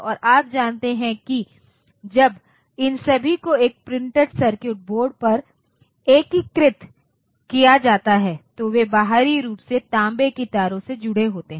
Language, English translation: Hindi, And you know that when all these are integrated on a printed circuit board, so they are connected externally by means of copper lines